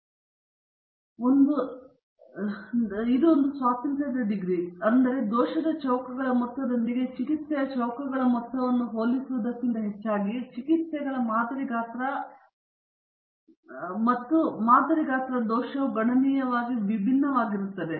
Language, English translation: Kannada, So, what you have to remember is the degrees of a freedom you have to keep in mind, so that rather than comparing the sum of squares of treatment with the sum of squares of error, because the sample size for the treatments and the sample size for the error may be considerably different